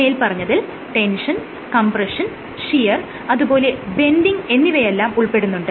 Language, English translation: Malayalam, So, these include tension, compression, shear and bending